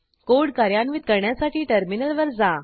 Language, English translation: Marathi, Lets execute the code.Go to the terminal